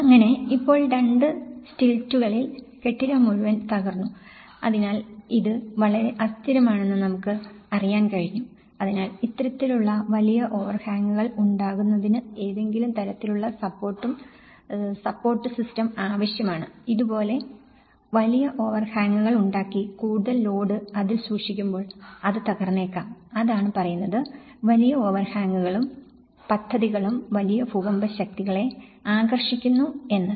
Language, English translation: Malayalam, So, now just on the two stilts, the whole building has been collapsed so, this is very unstable you know and so you need to have some kind of support system that is how in order to have this kind of large overhangs and then you are keeping load over a load and it may collapse that’s what it says, large overhangs and projects attract large earthquake forces